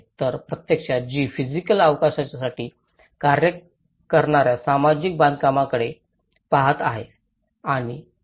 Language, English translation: Marathi, So, which actually looks at the social construct that operates for a physical spatial field